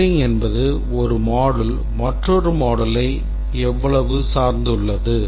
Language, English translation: Tamil, Coupling is that how much dependent one module is on another module